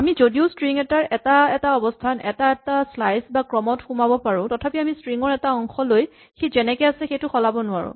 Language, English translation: Assamese, Though we have access to individual positions or individual slices or sequences within a string, we cannot take a part of a string and change it as it stands